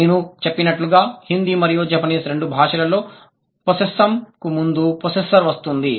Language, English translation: Telugu, I told you in Hindi and Japanese, in both the languages, the possessor occurs before the possessum